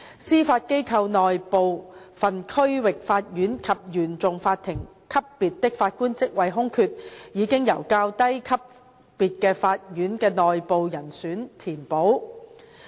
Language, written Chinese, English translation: Cantonese, 司法機構內部分區域法院及原訟法庭級別的法官職位空缺，已經由較低級別法院的內部人選填補。, Some of the vacancies of Judges at the levels of District Court and the Court of First Instance in the Judiciary are filled by internal candidates from the lower levels of court